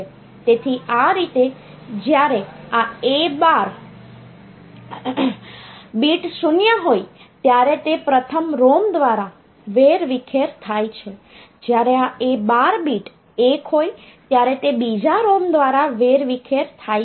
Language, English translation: Gujarati, So, that way I when this bit is when this a 12 bit is 0 it is scattered by the first ROM, when this a12 bit is 1 it is scattered by the second ROM